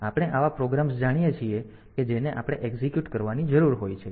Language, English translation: Gujarati, So, we know the programs that we need to execute